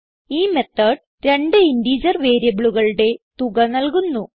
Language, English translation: Malayalam, So this method will give us the sum of two integer variables